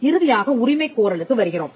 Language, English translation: Tamil, And finally, you have the claim